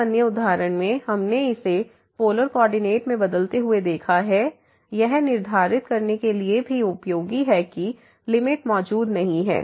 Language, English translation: Hindi, In another example what we have seen this changing to polar coordinate is also useful for determining that the limit does not exist